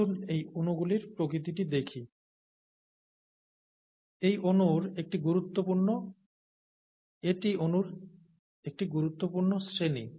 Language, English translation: Bengali, Let us look at the nature of this molecule, it is an important class of molecules